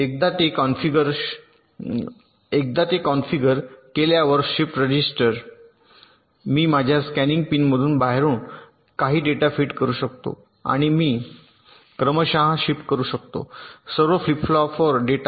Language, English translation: Marathi, now, once it is configured as the shift register, i can feed some data from outside from my scanin pin and i can serially shift the data to all the flip flops so i can initialize them very easily